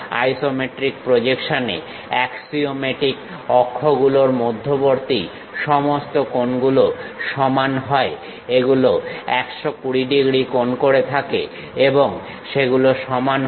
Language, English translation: Bengali, In isometric projection, all angles between axiomatic axis are equal; it is supposed to make 120 degrees and they are equal